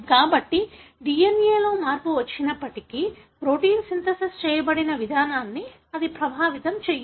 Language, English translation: Telugu, So, even if there is a change in the DNA, it would not affect the way the protein is being synthesized